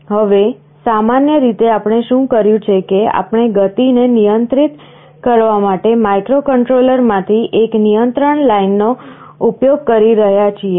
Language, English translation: Gujarati, Now normally what we have done, we are using one control line from the microcontroller to control the speed